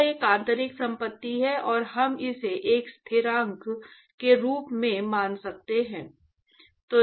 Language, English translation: Hindi, It is an intrinsic property and we can assume that also as a constant